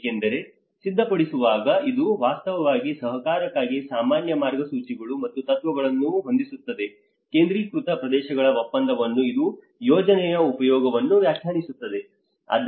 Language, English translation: Kannada, Because in the programming it actually sets up the general guidelines and principles for cooperation, agreement of focus areas so it will also define the project lay